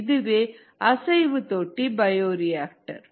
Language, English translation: Tamil, so that is a stirred tank bioreactor